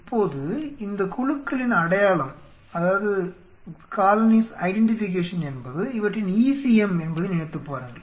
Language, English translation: Tamil, Now, think of it these colonies identification of this colonies are they are ECM